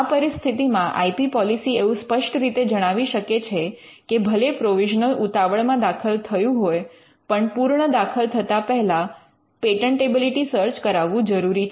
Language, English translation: Gujarati, So, the IP policy can clearly spell out though the provisional had to be filed in a situation of emergency the policy can spell out that there has to be a patentability search conducted before a complete can be filed